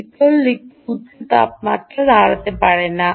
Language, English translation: Bengali, cold side cannot, which stand high temperatures